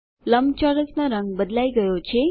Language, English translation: Gujarati, The color of the rectangle has changed